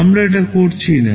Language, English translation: Bengali, We are not doing that